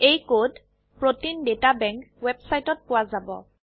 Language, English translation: Assamese, This code can be obtained from the Protein Data Bank website